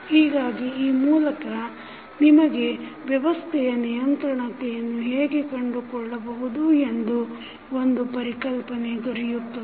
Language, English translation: Kannada, So, with this you can get an idea that how to find the controllability of the system